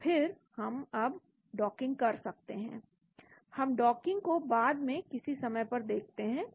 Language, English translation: Hindi, And then we can now perform the docking, we look at docking at a later point of time